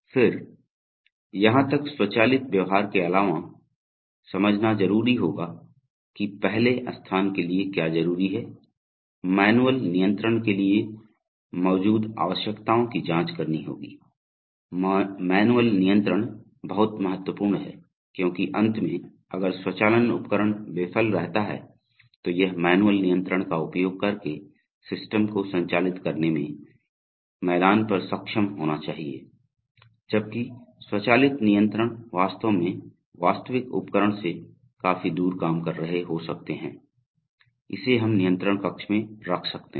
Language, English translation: Hindi, Then, even apart from the automated behavior, one has to examine the requirements that exist for number one, manual control, manual control is very important because for finally, if the automation equipment fails, it should be able to operate the system using manual control, right maybe right on the field, while the automated control may be actually working quite a distance away from the actual equipment, it may be housed in some control room